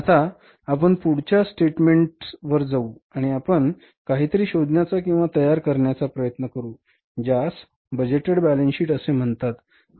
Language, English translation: Marathi, Now we will go to the next statement and we will try to find out the or prepare something which is called as the budgeted balance sheet